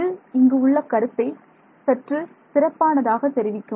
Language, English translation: Tamil, It conveys the idea a little bit better ok